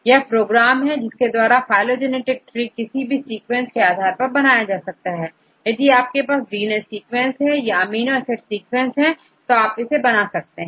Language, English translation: Hindi, It Is a program for constructing a phylogenetic tree for any given set of sequences, if you get a DNA sequences or amino acid sequences it will creates the phylogenetic tree